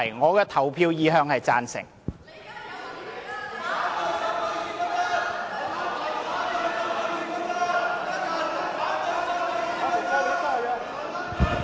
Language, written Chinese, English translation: Cantonese, 我的表決意向是"贊成"。, I voted in favour of the motion